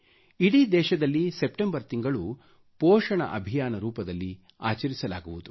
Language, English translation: Kannada, The month of September will be celebrated as 'Poshan Abhiyaan' across the country